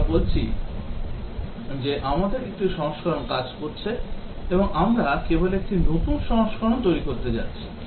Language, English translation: Bengali, Let us say we have one version working and we are just going to develop a newer version